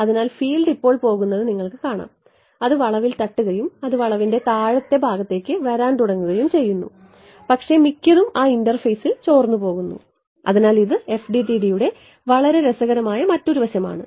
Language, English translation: Malayalam, So, you can see the field is going now it hits the bend and it begins to come into the lower part of the bend, but most of it is getting leaked out at that interface ok So, that is another very cool aspect of FDTD